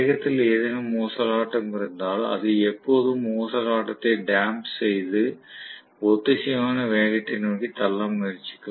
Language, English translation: Tamil, So if there is any oscillation in the speed, it will always try to damp out the oscillation and push it towards synchronous speed